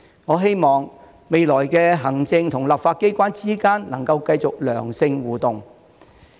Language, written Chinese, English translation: Cantonese, 我希望，未來行政和立法機關之間能繼續良性的互動。, I hope that healthy interactions persist between the executive and the legislature in the future